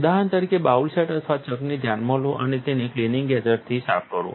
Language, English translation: Gujarati, Take, for example, the bowl set or the chuck does matter and clean it probably with the cleaning agent